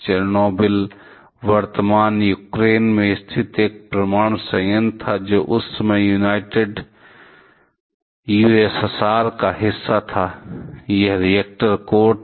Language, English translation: Hindi, Chernobyl was a nuclear plant located in present Ukraine, which was a part of that time it was a part of the united USSR; this was the reactor core